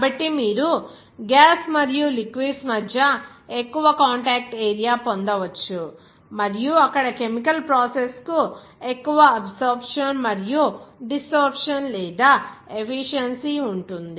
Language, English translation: Telugu, So, that you can get the more contact area between gas and liquid and they are more absorption and desorption or efficiency of the chemical process will be there